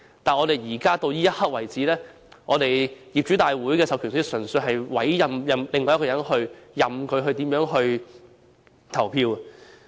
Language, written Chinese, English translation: Cantonese, 但目前為止，業主大會的授權書純粹是委任其他人士，任由他們怎樣投票也可。, But so far the proxy forms for general meetings purely serve to appoint other persons who will then be free to vote